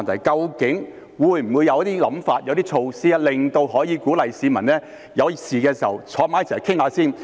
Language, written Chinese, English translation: Cantonese, 究竟會否有些想法、有些措拖，可以鼓勵市民在有事時先坐下來商討？, Are there any ideas or measures that can encourage people to first sit down for negotiation when they have problems?